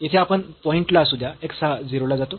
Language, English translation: Marathi, At this point here anyway this x goes to 0